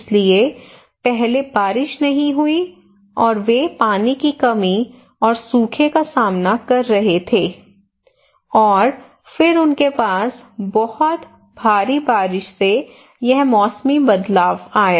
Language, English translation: Hindi, So first there is no rain and they were facing water scarcity and drought, and then they have very heavy rain or flat and then again this seasonal shift you can see